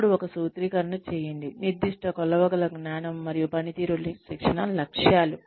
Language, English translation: Telugu, Then, one formulate, specific measurable knowledge and performance training objectives